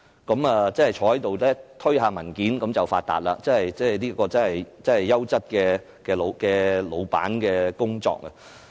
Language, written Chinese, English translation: Cantonese, 他們坐着推推文件便可以發達，這真的是優質老闆的工作。, They make a fortune simply by sitting and doing some paper chase . It is truly an ideal job for a boss